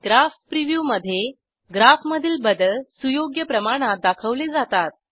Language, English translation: Marathi, Graph preview displays, a scaled version of the modifications in the graph